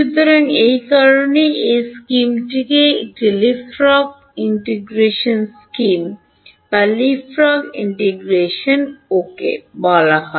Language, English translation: Bengali, So, that is why this scheme is called a leapfrog integration scheme leapfrog integration ok